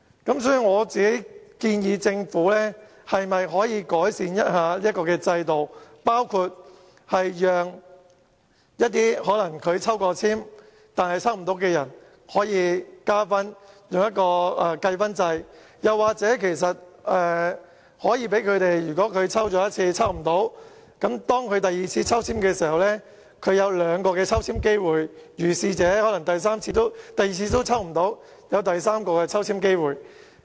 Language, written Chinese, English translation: Cantonese, 因此，我建議政府改善這個制度，包括加入計分制，讓一些曾抽籤但抽不到的申請人可以加分，或是在第一次抽不到之後，可在第二次抽籤時獲兩次抽籤機會，甚至在第二次也抽不到時，還有第三次抽籤機會。, Rather a new balloting exercise will be conducted each time . In this connection I suggest that the Government should refine the allocation system by introducing inter alia a points system under which points would be awarded to applicants who were unsuccessful in the previous ballot or they would be given another chance of ballot . And if he fails again in the second time he might be given the third chance